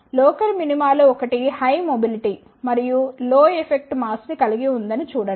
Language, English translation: Telugu, See one of the local minima contains the higher mobility and low effective mass